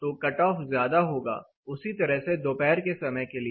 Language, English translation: Hindi, So, the cut off will be more, similarly, for the afternoon hours